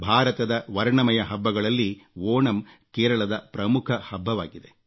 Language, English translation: Kannada, Of the numerous colourful festivals of India, Onam is a prime festival of Kerela